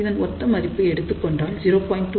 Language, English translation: Tamil, So, that will be 0